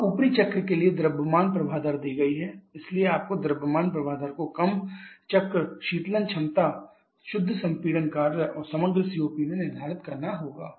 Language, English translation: Hindi, Now the mass flow rate for the upper cycle is given so you have to determine the mass flow rate in a large circle, cooling capacity, net compression work and overall COP